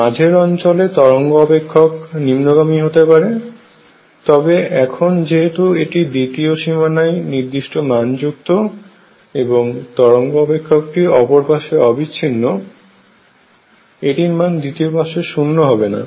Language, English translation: Bengali, In the region in the middle the wave function may die down, but however, now since it is finite at the other boundary and the wave function has to be continuous to the other side, it will not be 0 to the other side